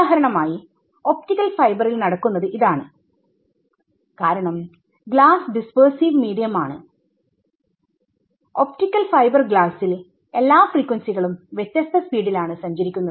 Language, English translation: Malayalam, This pulse distortion for example, will happen in an optical fibre because glass is a dispersive medium you have optical fibre glass every frequency travels in a different speed